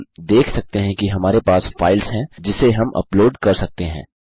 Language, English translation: Hindi, We can see we got a selection of files which we can upload